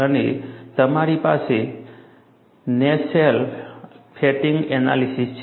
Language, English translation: Gujarati, And you have, NASFLA performs fatigue analysis